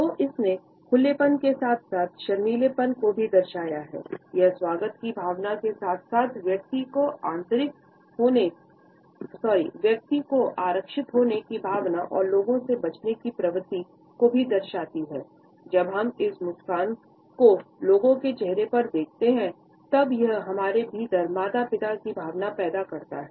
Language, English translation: Hindi, So, it has encapsulated openness as well as shyness, it suggests a sense of welcome and at the same time a sense of being reserved and a tendency to avoid people